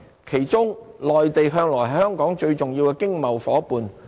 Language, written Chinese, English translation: Cantonese, 其中，內地向來是香港最重要的經貿夥伴。, Among these counterparts the Mainland has always been Hong Kongs most important trade partner